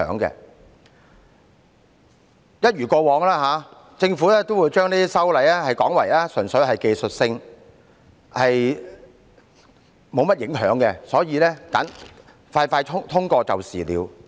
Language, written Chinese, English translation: Cantonese, 一如既往，政府也會把這類修例說成是純粹屬技術性質，無甚影響，因此迅速通過便是了。, As always the Government will say that such proposed amendments are technical in nature and have no implications; therefore they should be passed swiftly